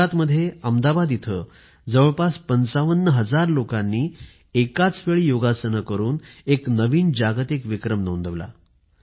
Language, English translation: Marathi, In Ahmedabad in Gujarat, around 55 thousand people performed Yoga together and created a new world record